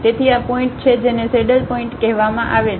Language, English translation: Gujarati, So, these are the points called saddle points